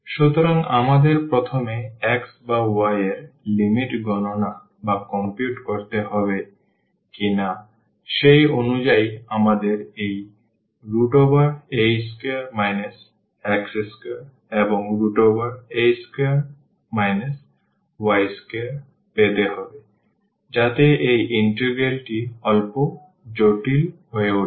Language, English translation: Bengali, So, we have to whether first compute the limit of x or y accordingly we have to get this square root of a square minus x square or y square, so that will make the integral bit complicated ok